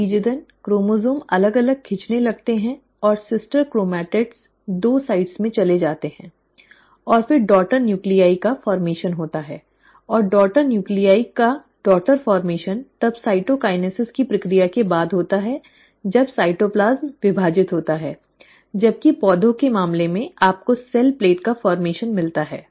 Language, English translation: Hindi, As a result, the chromosome starts getting pulled apart, and the sister chromatids move to the two sides, and then there is a formation of daughter nuclei, and the daughter formation of daughter nuclei is then followed by the process of cytokinesis when the cytoplasm divides, while in case of plants, you end up having formation of a cell plate